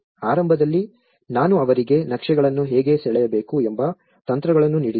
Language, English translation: Kannada, Initially, I have given them techniques of how to draw the maps